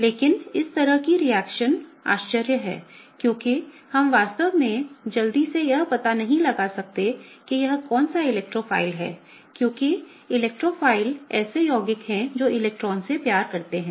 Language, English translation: Hindi, But in this reaction kind of is surprising right because we cannot really quickly figure out which is the electrophile here, because electrophiles are the compounds that are electron loving